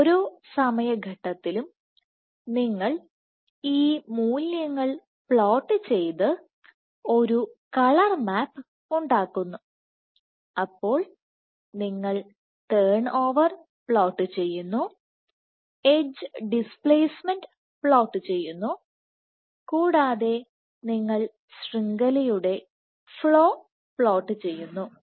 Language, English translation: Malayalam, You have at each time you, at each time step you plot these values and make a colour map, you generate a colour map, so, you plot turn over, you plot edge displacement, and you plot network flow